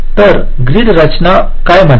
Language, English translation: Marathi, so what does grid structure says